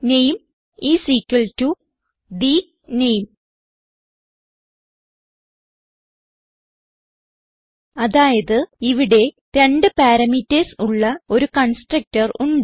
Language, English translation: Malayalam, And name is equal to the name So we have a constructor with two parameters